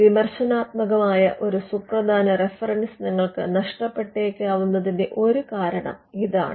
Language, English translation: Malayalam, And that could be a reason why you miss out a critical reference